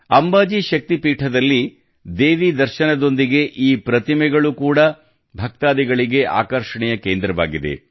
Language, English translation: Kannada, Along with the darshan of Mother Goddess at Amba Ji Shakti Peeth, these statues have also become the center of attraction for the devotees